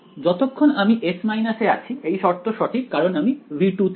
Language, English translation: Bengali, As long as I am in S minus this condition is valid because its in V 2 right